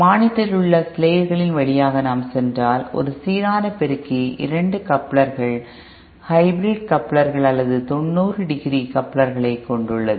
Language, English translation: Tamil, If we go through the slides on the monitor, a balanced amplifier consists of 2 couplers, hybrid couplers or 90 degree couplers